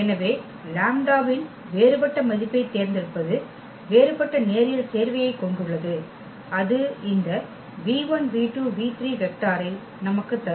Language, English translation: Tamil, So, choosing a different value of lambda we have a different linear combination that will give us exactly this vector v 1 v 2 and v 3